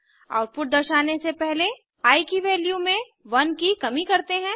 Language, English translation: Hindi, After the output is displayed, value of i is decremented by 1